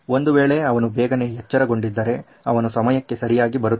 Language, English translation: Kannada, If he had woken up early, he would be on time